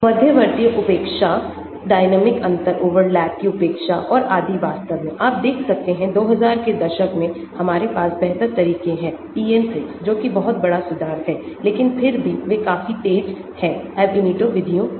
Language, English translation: Hindi, The intermediate neglect, neglect of diatomic differential overlap and so on actually, you can see in 2000’s, we have better methods; PM 6 which are big improvement but still they are quite fast unlike the Ab initio methods